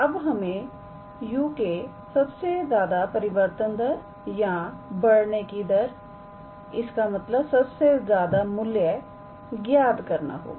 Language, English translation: Hindi, Now, we have to calculate the greatest rate of change, our rate of increase of u; that means, we have to calculate the maximum value